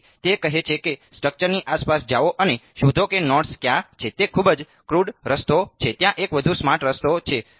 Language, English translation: Gujarati, So, he is saying go around the structure and find out where the nodes are that is a very crude way is there a smarter way